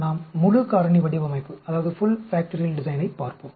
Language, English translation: Tamil, We will look at Full Factorial Design